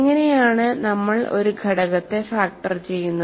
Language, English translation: Malayalam, So, how do we go about factoring